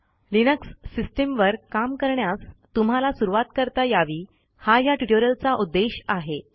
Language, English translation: Marathi, The main motivation of this is to give you a headstart about working with Linux